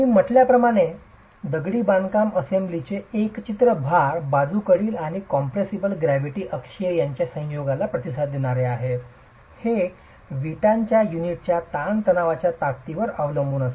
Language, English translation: Marathi, As I said, the way in which the masonry assembly, composite, is going to respond to a combination of loads lateral and compressive gravity axial will depend on the tensile strength of the brick unit